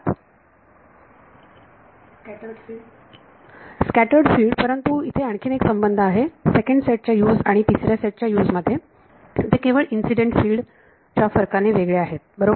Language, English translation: Marathi, Scattered field, but there is also a relation between the U’s of the second set and the U’s of the third set they differ by incident field right